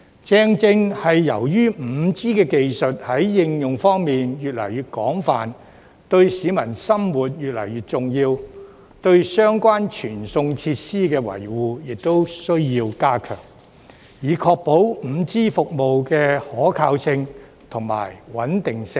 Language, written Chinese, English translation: Cantonese, 正正由於 5G 技術在應用方面越來越廣泛，對市民生活越來越重要，對相關傳送設施的維護亦需要加強，以確保 5G 服務的可靠性和穩定性。, Businesses can also save manpower and costs while improving productivity and service quality . As 5G technology is getting more widely used and more important to peoples lives the maintenance of related transmission facilities needs to be enhanced to ensure the reliability and stability of 5G services